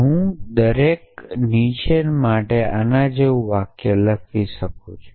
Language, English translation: Gujarati, like this for each low I can write a sentence like this